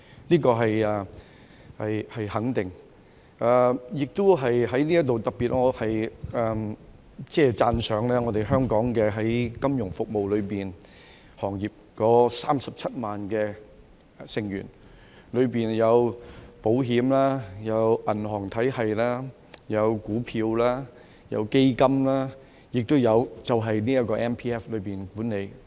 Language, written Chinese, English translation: Cantonese, 這個是肯定的，我在此亦都特別讚賞香港金融服務行業內的27萬名成員，當中有保險、銀行體系、股票、基金，亦都有這個 MPF 管理。, This is definitely true . Here I would like to especially commend the 270 000 members of the financial services industry in Hong Kong covering the fields of insurance banking securities and funds all of which involve MPF management